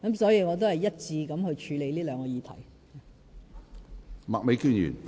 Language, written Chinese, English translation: Cantonese, 所以，我會一致地處理這兩項議題。, Hence my treatment of these two issues will be the same